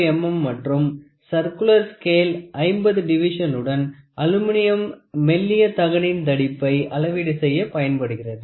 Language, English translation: Tamil, 5 millimeter and a circular scale with 50 divisions is used to measure the thickness of a thin sheet of Aluminium